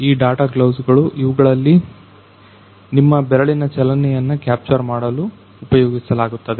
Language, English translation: Kannada, So, these are the data gloves which are used to track all the, used to capture all the motions related to your finger